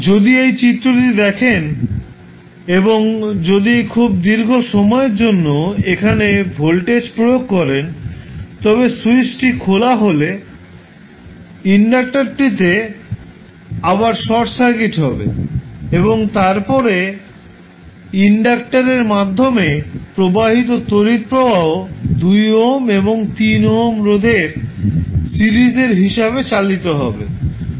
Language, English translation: Bengali, If you see this figure and if you apply voltage this for very long duration with switch is open the inductor will again be short circuited and then the current flowing through the inductor will be driven by the series combination of 2 ohm and 3 ohm resistances